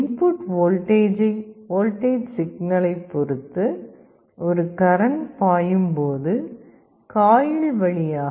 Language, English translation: Tamil, And when there is a current flowing depending on the input voltage signal there will be some current flowing in the coil